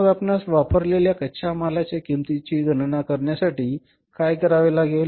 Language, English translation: Marathi, So, what we have to find out here is that is the cost of raw material consumed